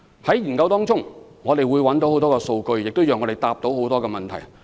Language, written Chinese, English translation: Cantonese, 在研究期間，我們會收集很多數據，讓我們可回答各項問題。, In the course of study we will collect a lot of data to clear doubts